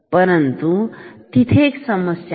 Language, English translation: Marathi, But, there is a problem